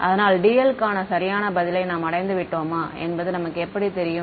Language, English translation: Tamil, So, how do we know whether we have reach the correct answer for dl